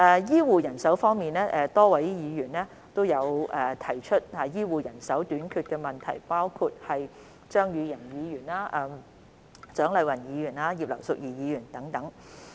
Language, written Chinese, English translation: Cantonese, 醫護人手方面，多位議員均提出醫護人手短缺的問題，包括張宇人議員、蔣麗芸議員和葉劉淑儀議員等。, Concerning healthcare manpower various Members including Mr Tommy CHEUNG Dr CHIANG Lai - wan and Mrs Regina IP have raised questions about the healthcare manpower shortage